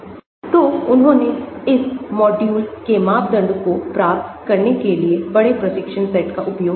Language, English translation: Hindi, So, they used larger training set to get the parameters for this module